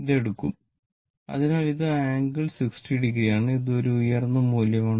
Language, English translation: Malayalam, This we will taken; so angle 60 degree and this is a peak value